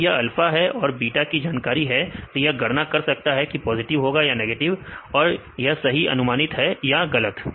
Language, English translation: Hindi, If it is known alpha and beta it can also evaluate this is the positive or negative, where it is correctly predicted or it is wrongly predicted